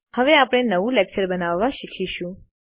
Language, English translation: Gujarati, We shall now learn to create a new lecture